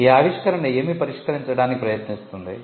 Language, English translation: Telugu, What does the your invention seek to address